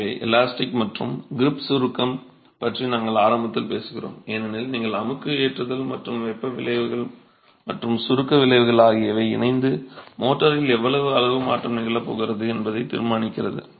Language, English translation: Tamil, So, you're really talking of the elastic and creep shortening as you have compressive loading and the thermal effects and the shrinkage effects together deciding how much of volume change is going to happen in the motor itself